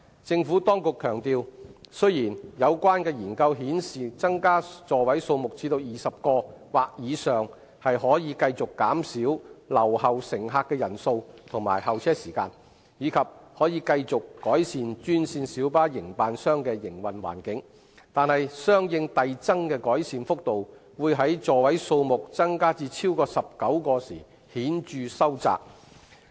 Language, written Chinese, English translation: Cantonese, 政府當局強調，雖然有關研究顯示增加座位數目至20個或以上可繼續減少留後乘客的人數和候車時間，以及可繼續改善專線小巴營辦商的營運環境，但相應遞增的改善幅度會在座位數目增加至超過19個時顯著收窄。, The Administration has emphasized that while the study shows that increasing the seating capacity to 20 or above may continue to reduce the number of left - behind passengers and the waiting time as well as continue to improve the operating environment of green minibus operators the corresponding magnitude of the incremental improvements will diminish noticeably beyond 19 seats